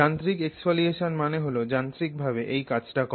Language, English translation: Bengali, Mechanical exfoliation means you are actually doing this using mechanical means